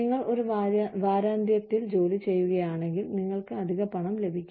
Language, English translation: Malayalam, You work on a week end, you get extra money